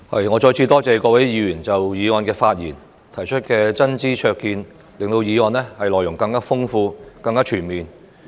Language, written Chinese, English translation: Cantonese, 我再次多謝各位議員就議案發言和提出真知灼見，令議案的內容更豐富、更全面。, Once again I thank Members for their speeches and insightful comments on the motion which have enriched the content of the motion and rendered it more comprehensive